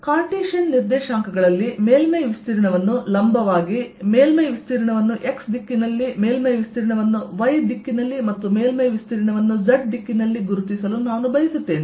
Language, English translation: Kannada, so in cartesian coordinates i want to identify surface area perpendicular: surface area in x direction, surface area in y direction and surface area in z direction